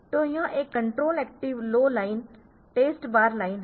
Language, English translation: Hindi, So, this is this is again a control active low line this is test bar line